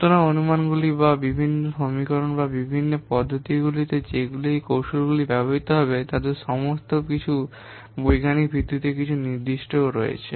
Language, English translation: Bengali, So, all those what assumptions or the different equations or the different methods that will be used in these techniques, they have some certain but scientific basis